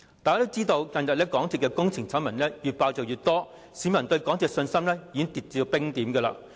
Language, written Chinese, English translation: Cantonese, 大家也知道，近日港鐵公司的工程醜聞越揭越多，市民對港鐵公司的信心已經跌至冰點。, As we all know the exposure of more and more scandals surrounding the projects of MTRCL has brought the publics confidence in the railway operator down to the freezing point